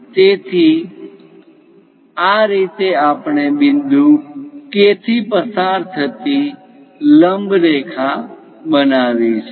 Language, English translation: Gujarati, So, this is the way we construct a perpendicular line passing through point K